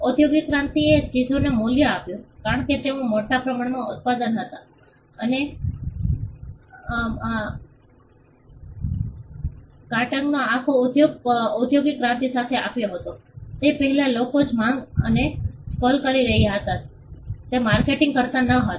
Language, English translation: Gujarati, Industrial revolution gave value to things because, they were manufactured in large numbers and entire industry of marketing came with the industrial revolution, before that people were not marketing the way or the scale in which they were doing